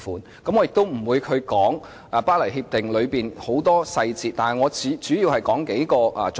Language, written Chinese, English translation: Cantonese, 我並不打算詳述《協定》的眾多細節，我主要想提出幾個重點。, I will not go into the details of the Agreement . All I wish is to raise some key points